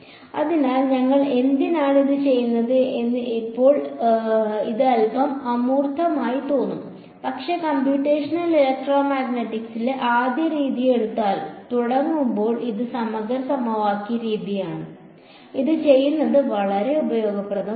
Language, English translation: Malayalam, So, again this will seem a little bit abstract right now that why are we doing this, but when we begin to take the first method in computational electromagnetic which is which are integral equation method, it will become very very useful having done this